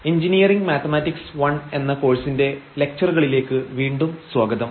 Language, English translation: Malayalam, So, welcome back to the lectures on Engineering Mathematics I, and this is lecture number 14